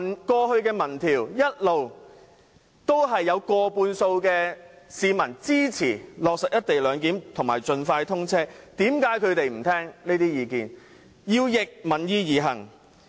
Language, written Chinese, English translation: Cantonese, 過去的民意調查一直都有過半數市民支持落實"一地兩檢"和高鐵盡快通車，為何反對派議員不聽這些意見，要逆民意而行？, Past opinion surveys consistently showed majority support for the implementation of the co - location arrangement and the expeditious commissioning of XRL . Why do opposition Members not listen to such voices but act against public opinion?